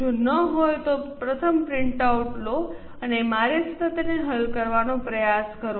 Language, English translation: Gujarati, If not take the printout first and try to solve it along with me